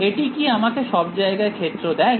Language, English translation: Bengali, Does this tell me the field everywhere